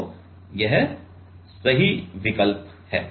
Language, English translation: Hindi, So, this is the correct option